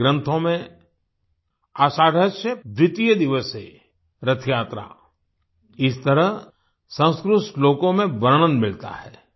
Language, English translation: Hindi, In our texts 'Ashadhasya Dwitiya divase… Rath Yatra', this is how the description is found in Sanskrit shlokas